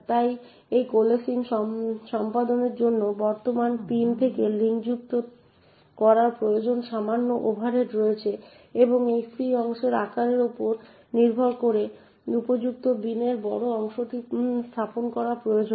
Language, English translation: Bengali, So performing this coalescing also has a slight overhead of requiring to unlink from the current pin and placing the larger chunk in the appropriate bin depending on the size of this free chunk